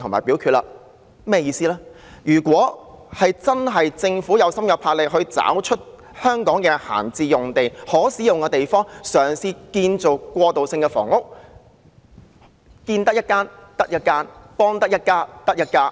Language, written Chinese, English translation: Cantonese, 說明關鍵在於政府是否真的有心、有魄力，找出香港的閒置用地及可供使用的地方建造過渡性房屋，建得一間得一間，幫得一家得一家。, It tells us that the crux lies in whether the Government has genuine resolve and boldness in identifying idle sites and available premises in Hong Kong for transitional housing construction getting as many units built and helping as many families as possible